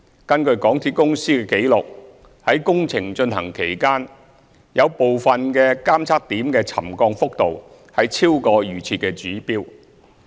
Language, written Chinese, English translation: Cantonese, 根據港鐵公司的紀錄，於工程進行期間，有部分監測點的沉降幅度超過預設指標。, According to MTRCLs records the settlement readings at some monitoring points had exceeded the pre - set trigger level during the construction period